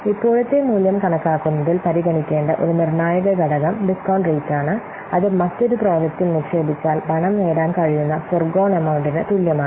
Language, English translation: Malayalam, So, so a critical factor to consider in computing the present value is a discount rate which is equivalent to the forgone amount that the money could earn if it were invested in a different project